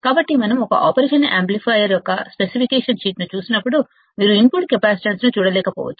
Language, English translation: Telugu, So, when we see a specification sheet of an operational amplifier, you may not be able to see the input capacitance